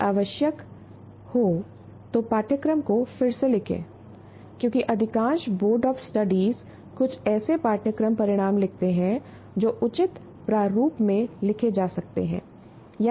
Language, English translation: Hindi, Rewrite if necessary the course outcomes because some of the most of the universities, their boards of studies write some course outcomes, they may or may not be written in a good format